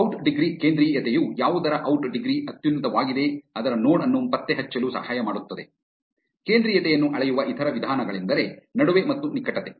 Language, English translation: Kannada, Out degree centrality helps in locating the node whose out degree is the highest, other ways to measure centrality are betweenness and closeness